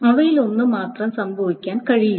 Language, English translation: Malayalam, It cannot that only one of them has happened